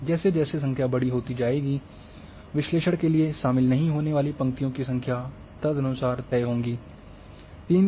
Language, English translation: Hindi, So, the number becomes larger, and then number of rows and columns which are will not be involved for analysis will be accordingly